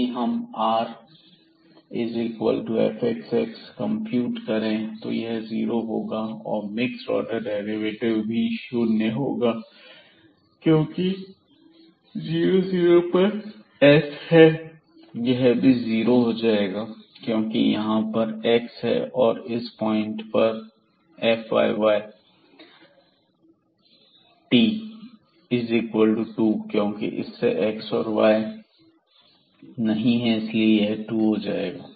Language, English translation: Hindi, So now, if we compute this r at 0 0 point this will be 0, the s at this the mixed order partial derivative at 0 0 point, this will be also 0 because x is sitting here and then at this point again this f yy, this is 2 there is no x and y term, so this is 2